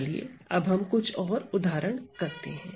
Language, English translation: Hindi, So, let us do some more examples